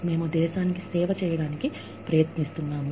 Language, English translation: Telugu, We are trying to serve the nation